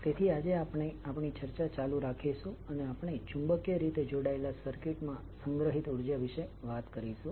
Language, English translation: Gujarati, So we will continue our decision today and we will talk about energy stored in magnetically coupled circuits